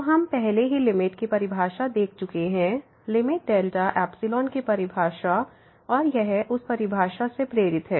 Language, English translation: Hindi, So, we have already seen the definition of a limit indeed the limit delta epsilon definition of limit and this is motivated by that definitions